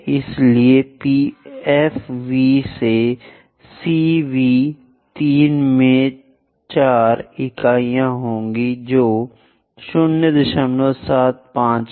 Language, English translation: Hindi, So, that F V to C V will be 3 by 4 units which is 0